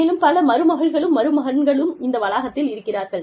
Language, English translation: Tamil, And, so many nieces and nephews, on this campus